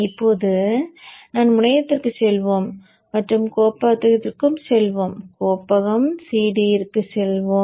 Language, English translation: Tamil, Now let us go to the terminal and let me go to the directory, CD to the directory, and let me generate the net list